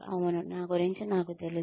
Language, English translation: Telugu, Yes, I know that, about myself